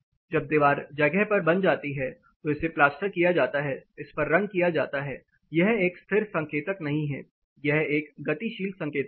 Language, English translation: Hindi, When the wall is in place it is plastered it is painted it is put in place it is not a static indicator, it is a dynamic indicator